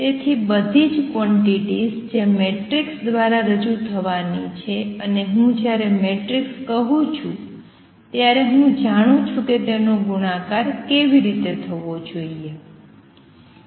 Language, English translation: Gujarati, So, all quantities I going to be represented by matrices and the moment I say matrices I also know how they should be multiplied consequence of this is that